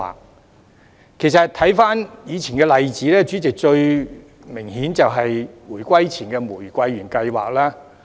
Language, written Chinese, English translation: Cantonese, 代理主席，其實，回看以往的例子，最明顯就是回歸前的"玫瑰園計劃"。, Deputy Chairman actually in retrospect the most obvious past example is the Rose Garden Project prior to the reunification